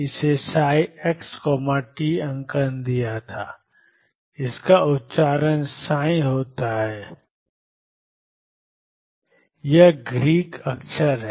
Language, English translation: Hindi, This is pronounced psi it is pronounce as psi, it is Greek letter